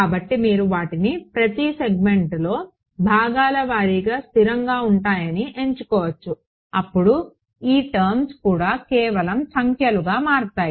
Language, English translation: Telugu, So, you can assume them to be piecewise constant in each segment so, then these guys also just become numbers